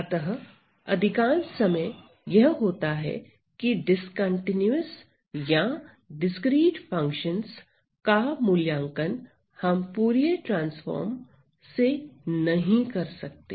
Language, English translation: Hindi, So, what happens is that most of the times this discontinuous or discrete functions, we cannot evaluate Fourier transforms right